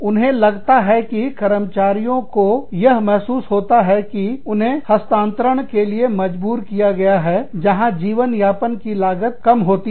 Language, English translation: Hindi, They feel that, employees feel that, they are forced to relocate to places, where the cost of living is much lower